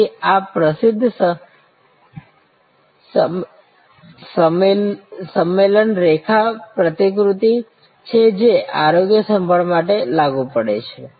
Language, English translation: Gujarati, So, this is the famous assembly line model applied to health care